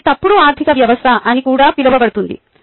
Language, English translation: Telugu, it also leads to something called false economy